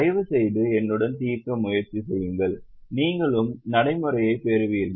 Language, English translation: Tamil, Please try to solve with me so that you also get the practice